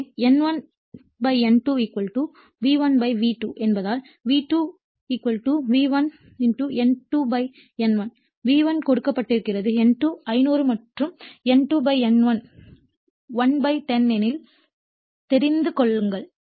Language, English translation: Tamil, We know if since N1 / N2 = V1 / V2 therefore, V2 = V1 * N2 / N1 right = V1 is giveN2500 and N2 / N1 is 1 /10